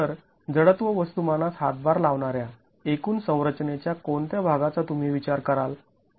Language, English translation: Marathi, So, what part of the total structure would you consider as being contributory to the, contributing to the inertial mass